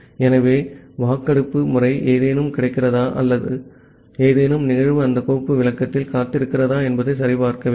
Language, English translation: Tamil, So, this poll method is to check that whether something is available to or some event is waiting on that file descriptor